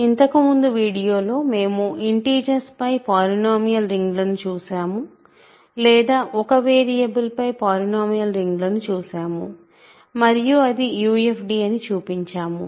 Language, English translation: Telugu, In the last video, we looked at polynomial rings over the integers, or polynomial rings in one variable and showed that it is a UFD